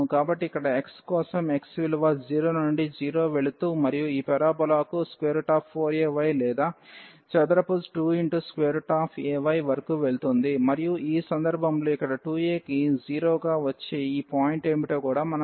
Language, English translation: Telugu, So, for this x here x goes from 0 x goes from 0 and to this parabola which is a square root this 4 a y or square to square root a y and then in this case we have to also see what is this point here which will come as 2 a into 0